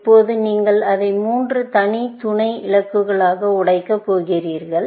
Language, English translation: Tamil, Now, you are going to break it up into three separate sub goals